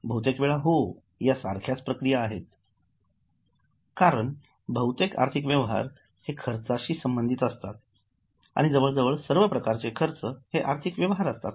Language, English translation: Marathi, Many times, yes, because most of the financial transactions may give you some cost and almost all the costs are financial transactions